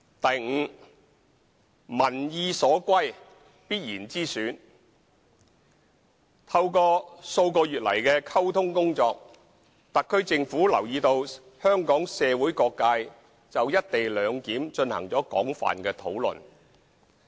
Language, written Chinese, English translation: Cantonese, e 民意所歸必然之選透過數個月來的溝通工作，特區政府留意到香港社會各界就"一地兩檢"進行了廣泛的討論。, e Definite option commanding strong public opinion support Through our communication work over the past few months the SAR Government has come to notice that various sectors of the Hong Kong community have held extensive discussions on the co - location arrangement